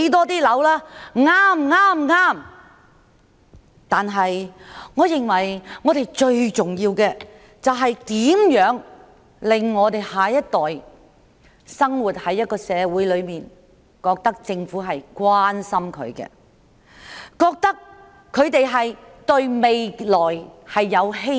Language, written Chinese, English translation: Cantonese, 但我認為最重要的，是我們要讓下一代生活在一個感受到政府關心的社會中，令他們對未來有希望。, The most important thing in my opinion is that we let our next generation live in a society in which the care of the Government can be felt so that they have hope for the future